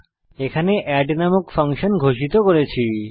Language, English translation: Bengali, Here we have defined a function called add